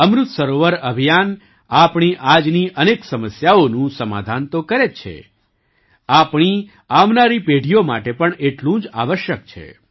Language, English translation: Gujarati, The Amrit Sarovar Abhiyan not only solves many of our problems today; it is equally necessary for our coming generations